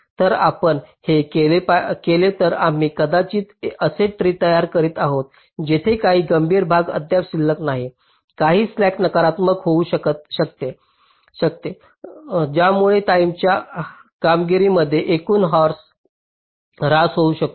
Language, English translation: Marathi, if we do this, then we may be constructing a tree where some critical parts still remains, some slack may become negative, which may result in the overall degradation in the timing performance